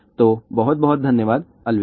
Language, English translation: Hindi, So, thank you very much, bye